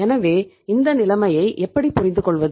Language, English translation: Tamil, So how to say understand this situation